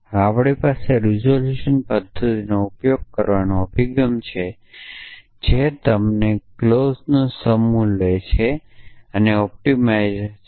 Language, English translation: Gujarati, Now, we have a approach to using the resolution method which is that you take the set of clauses that are given to you which is the optimizes